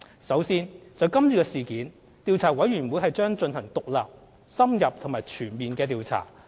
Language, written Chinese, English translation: Cantonese, 首先，就是次事件，調查委員會將進行獨立、深入及全面的調查。, First of all with regards to this incident the Commission will conduct an independent in - depth and comprehensive inquiry